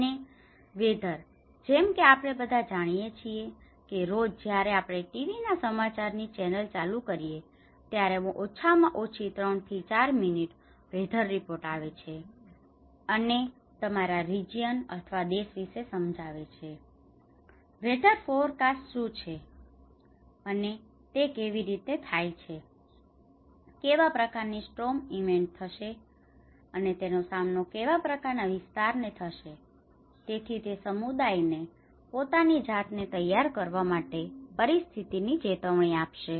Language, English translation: Gujarati, And weather; as we all know that every day when we switch on the TV news channels, so at least the last 3, 4 minutes, the weather reporter comes and explains that in your region or in the country, what is the weather forecast and how it is going to be, what kind of storm events are going to face in which part of the area, so that it will give an alert situation for the communities to prepare themselves